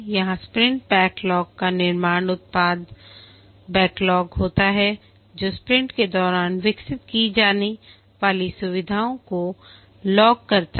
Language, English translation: Hindi, Here the sprint backlog is formed from the product backlog, the features to be developed during the sprint